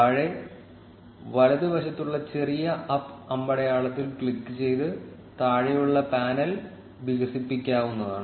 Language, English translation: Malayalam, The panel at the bottom can be expanded by clicking on the small up arrow on bottom right